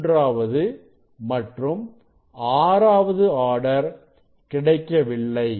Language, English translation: Tamil, third order, sixth order will be missing